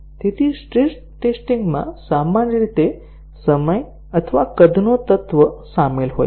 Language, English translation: Gujarati, So, stress testing usually involves an element of time or size